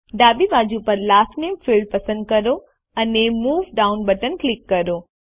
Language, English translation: Gujarati, Lets select Last Name field on the left and click the Move Down button